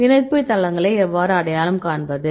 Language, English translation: Tamil, How to identify the binding sites